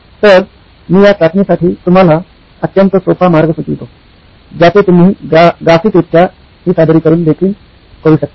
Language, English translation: Marathi, So I’ll give you a very very simple way to test this, also graphically you can represent this